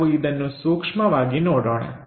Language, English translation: Kannada, So, let us look at this carefully